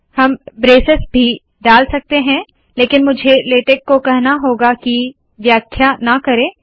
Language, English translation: Hindi, I can also put braces, only thing is that I have to tell latex not to interpret